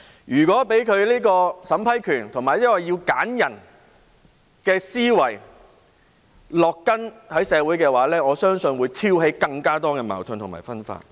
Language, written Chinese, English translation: Cantonese, 如果讓取回審批權和進行篩選的思維在社會植根的話，我相信會挑起更多矛盾及分化。, If we let the mentality of taking back the power of approval and conducting screening take root in society I believe it will provoke more contradictions and divisions